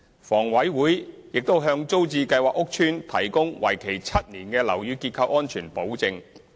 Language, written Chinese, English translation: Cantonese, 房委會並向租置計劃屋邨提供為期7年的樓宇結構安全保證。, HA also provides a seven - year Structural Safety Guarantee for TPS estates